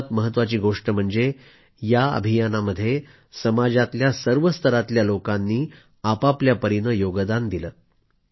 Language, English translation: Marathi, And the best part is that in this campaign, people from all strata of society contributed wholeheartedly